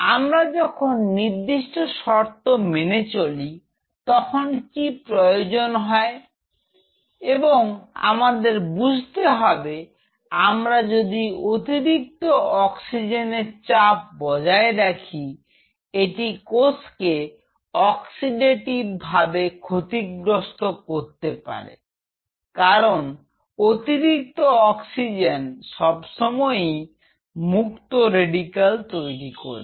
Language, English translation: Bengali, Where we maintain the conditions, what is needed and again one has to realize if we maintain a higher oxygen tension, this may lead to oxidative like oxidative damage because higher oxygen tension always leads to the free radical formation